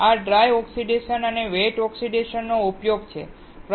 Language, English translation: Gujarati, These are the application of dry oxidation and wet oxidation